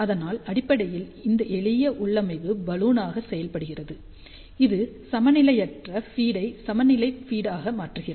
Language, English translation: Tamil, So, basically this simple configuration acts as a Balun, it converts the unbalanced feed to the balanced feed